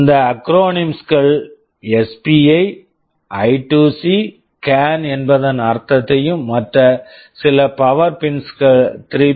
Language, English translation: Tamil, We shall be seeing what these acronyms mean SPI, I2C, CAN and of course, there are some power pins 3